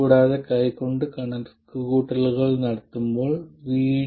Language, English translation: Malayalam, And also, while doing hand calculations, we will assume VD not to be 0